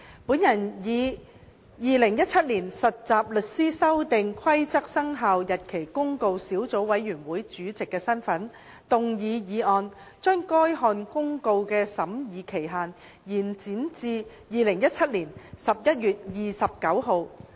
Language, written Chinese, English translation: Cantonese, 我以《〈2017年實習律師規則〉公告》小組委員會主席的身份動議議案，將該項公告的審議期限延展至2017年11月29日。, In my capacity as Chairman of the Subcommittee on Trainee Solicitors Amendment Rules 2017 Commencement Notice I move the motion that the period for scrutinizing the Trainee Solicitors Amendment Rules 2017 Commencement Notice be extended to 29 November 2017